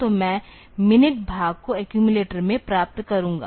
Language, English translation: Hindi, So, I will get the minute part into the accumulator